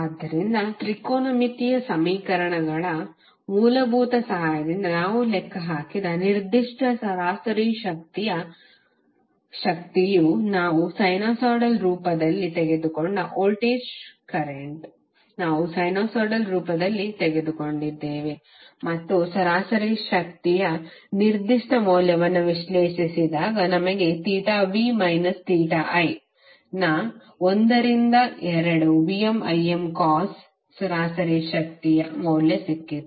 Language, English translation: Kannada, So that particular average power we calculated with the help of the fundamentals of the trigonometric equations that is the voltage we took in the sinusoidal form, current we took in the form of sinusoidal form and when we analyzed that particular value of average power we got value of average power as 1 by 2 VmIm cos of theta v minus theta i